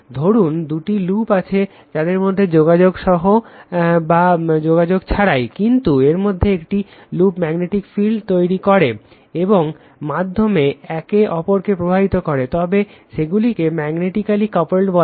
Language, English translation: Bengali, Suppose, you have two loops with or without contact between them, but affect each other through the magnetic field generated by one of them, they are said to be magnetically coupled